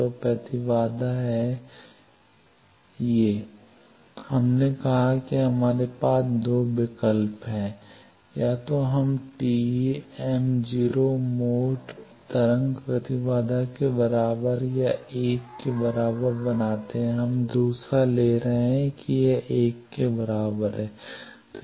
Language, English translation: Hindi, So, impedance is vm plus by I m plus, we said we had 2 choices either we make it equal to TE m0 mode wave impedance or equal to 1, we are taking the second 1 let us say that this is equal to 1